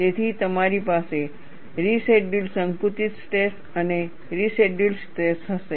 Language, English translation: Gujarati, So, you will have a residual compressive stress and a residual tension